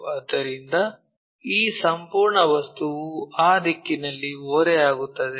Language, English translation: Kannada, So, this entire object tilted in that direction